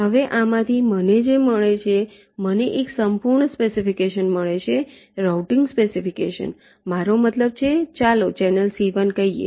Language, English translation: Gujarati, now, from this what i get, i get a complete specification, routing specification i mean for, let say, channel c one